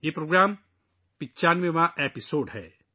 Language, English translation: Urdu, This programmme is the 95th episode